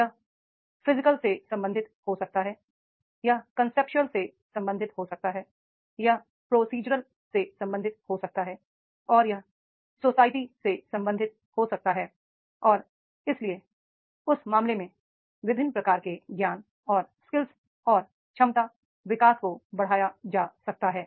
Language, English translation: Hindi, This can be related to the physical, it can be related to the conceptual, it can be related to the procedural and it can be related to the social knowledge and therefore in that case different types of the knowledge and skills and capacity development that can be enhanced